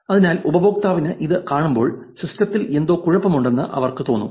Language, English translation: Malayalam, So, when user sees this they feel something is wrong with the system